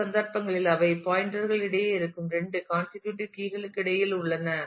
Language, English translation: Tamil, And in the other cases they are between the two consecutive key values that exist between the pointers